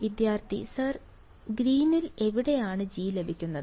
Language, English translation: Malayalam, Sir, where in the green just G gets